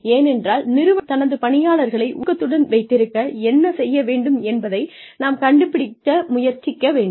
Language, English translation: Tamil, Because, we are trying to figure out, what we need to do, what the organization needs to do, to keep its employees, motivated